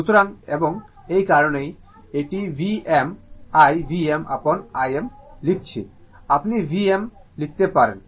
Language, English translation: Bengali, So, and that is why it is writing V m I V m upon I m, you can write V upon say I